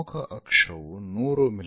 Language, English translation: Kannada, Major axis 100 mm